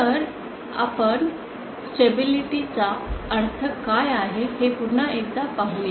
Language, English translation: Marathi, So let us review once again what we mean by stability